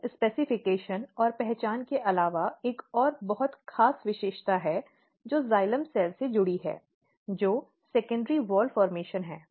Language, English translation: Hindi, So, apart from these specification and identity, there are another very special feature which is associated with the xylem cells which is a kind of secondary wall formation